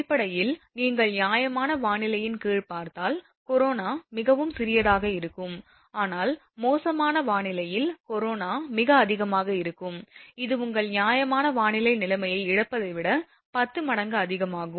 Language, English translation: Tamil, So, basically if you see under fair weather condition, corona will be very small, but under foul weather condition corona will be very high, as high as 10 times than the corona loss of your fair weather condition